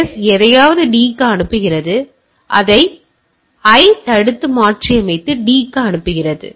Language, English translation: Tamil, S is sending something to D, it is being intercepted and modified by I and send to D